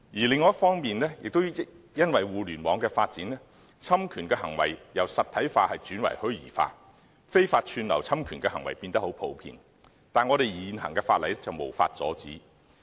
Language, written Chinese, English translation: Cantonese, 另一方面，也因為互聯網的發展，侵權行為也由實體化轉為虛擬化，非法串流侵權的行為變得很普遍，但現行法例卻無法阻止。, On the other hand due to the development of the Internet infringements have turned from physical to virtual and illegal streaming which the existing legislation is not able to ban has become more common